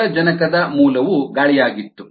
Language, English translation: Kannada, the source of oxygen was air